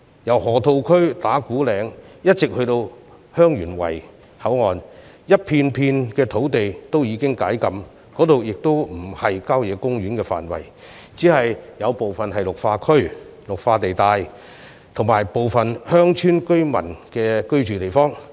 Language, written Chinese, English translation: Cantonese, 由河套區、打鼓嶺以至香園圍口岸，整片土地均已解禁，而且不屬郊野公園範圍，只有部分屬綠化地帶及鄉村居民居住之地。, It should be noted that the restrictions on the whole stretch of land from the Loop Ta Kwu Ling to the Heung Yuen Wai Boundary Control Point have already been relaxed . Moreover the whole area has not been incorporated into country parks only part of it has been zoned as green belt and used for residential purpose